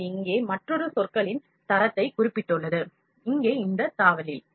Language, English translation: Tamil, It has mentioned another term quality here, here in this tab